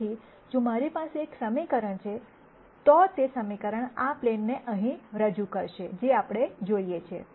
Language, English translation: Gujarati, So, if I have one equation, that equation itself would represent this plane right here ; which is what we see